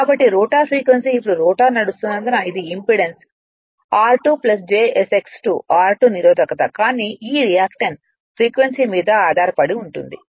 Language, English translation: Telugu, So, this is your what you call your that is why the rotor frequency will be now rotor is running it's impedance will be r2 plus j s X 2, r 2 is resistance, but this reactance depends on the frequency